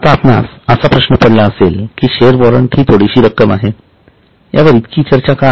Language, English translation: Marathi, Now, you may be wondering that this share warrants is a small amount